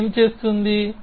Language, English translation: Telugu, What does it do